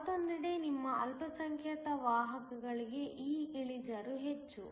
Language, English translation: Kannada, On the other hand, for your minority carriers this slope is much more